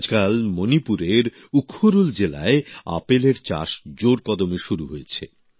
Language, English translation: Bengali, Nowadays apple farming is picking up fast in the Ukhrul district of Manipur